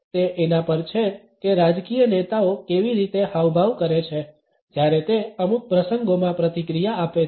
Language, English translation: Gujarati, It is about how political leaders make gestures when they react to certain events